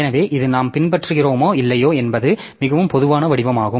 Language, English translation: Tamil, So, this is the most general form whether we follow it or not